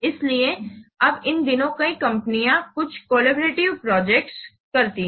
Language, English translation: Hindi, So, nowadays many companies, they do some collaborative projects